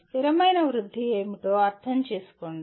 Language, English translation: Telugu, Understand what sustainable growth is